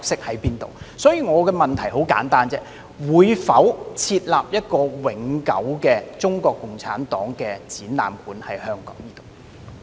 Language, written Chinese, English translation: Cantonese, 我的補充質詢很簡單，政府會否在香港設立一個永久的中國共產黨展覽館？, My supplementary question is very simple Will the Government establish a permanent CPC museum in Hong Kong?